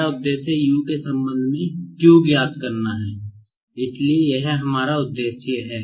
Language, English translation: Hindi, Now, to find out this Q with respect to U, I will have to find out like this